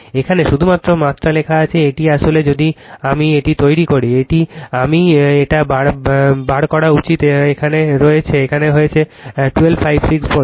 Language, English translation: Bengali, Only magnitude written here, this is actually if I make it, I should make it bar taken here 1256 volt right